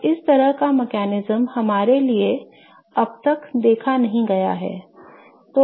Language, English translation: Hindi, Now, this kind of mechanism is somewhat unseen for us still now